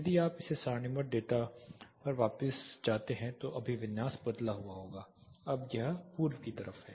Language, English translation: Hindi, If you get back to this tabular data the orientation would have changed this is the east facing